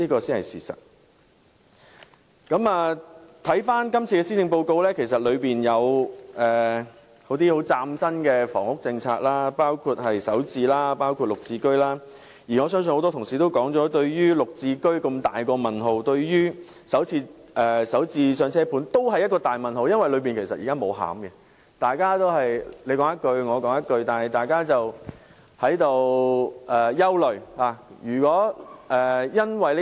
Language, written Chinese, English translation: Cantonese, 看看今次的施政報告，其實當中有些很嶄新的房屋政策，包括"港人首置上車盤"和綠表置居計劃，而我聽到很多同事提到對"綠置居"和"港人首置上車盤"均抱有很大疑問，因為這些措施仍未有具體內容，大家只是你一言，我一語。, There are actually some innovative housing policies in this Policy Address including the Starter Homes for Hong Kong residents and the Green Form Subsidised Home Ownership Scheme GSH . From what I have heard many Honourable colleagues have grave doubts about these two initiatives as specific details are not yet available